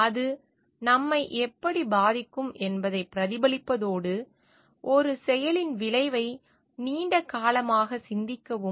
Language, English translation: Tamil, Reflecting in terms of how it would affect us, and contemplating the effect of an action on long term